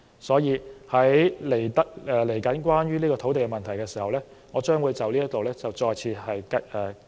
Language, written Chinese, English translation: Cantonese, 所以，隨後討論土地問題時，我將會就此再次發言。, I will thus talk about this problem again later when we come to the debate on land issues